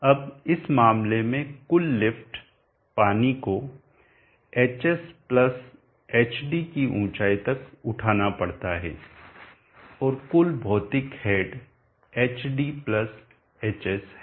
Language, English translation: Hindi, Now in this case the total lift, the water has to be lifted to a total height of hs+hd, and the total physical head is hd+hs